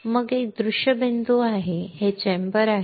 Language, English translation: Marathi, Then there is a viewing point this is the chamber